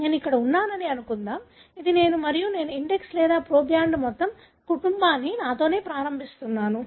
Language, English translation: Telugu, Let us assume that I am here, this is me and I am starting the entire family with myself, being the index or proband